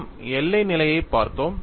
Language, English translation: Tamil, We have to look at the boundary conditions